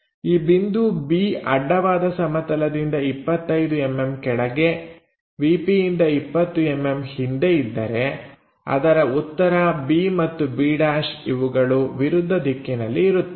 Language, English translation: Kannada, If point B is 25 mm below horizontal plane 20 mm behind VP, the solution will be b and b’ will be on the opposite sides